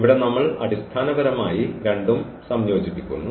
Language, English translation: Malayalam, So, here we are combining basically the two